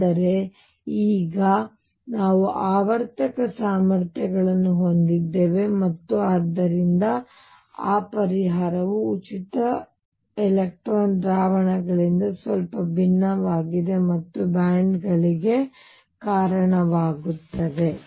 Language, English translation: Kannada, But now we will have periodic potentials there, and therefore that solution differs slightly from the free electron solutions and gives rise to bands